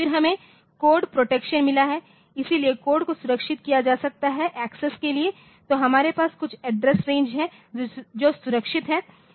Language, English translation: Hindi, Then we have got code protection so, I can protect the code for access so, they are so, we can have some address range and protection around that